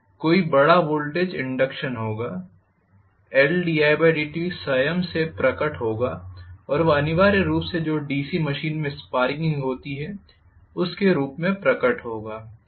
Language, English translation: Hindi, There will be a larger voltage induction, L di by dt will manifest by itself and that is essentially manifested in the form of sparking that occurs in the DC machine, Right